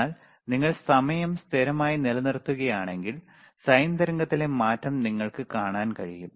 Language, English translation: Malayalam, But if you keep that time constant, then you will be able to see the change in the sine wave